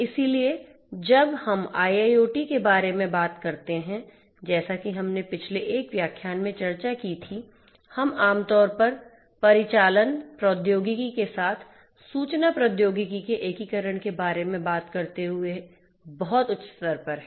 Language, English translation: Hindi, So, when we talk about IIoT, as we discussed in a previous lecture we are typically at a very high level talking about the integration of information technology with operational technology